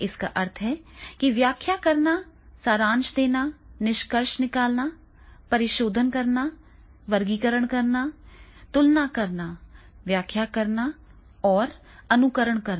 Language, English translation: Hindi, It means that interpreting, summarising, inferring, paraphrasing, classifying, comparing, explaining and exemplifying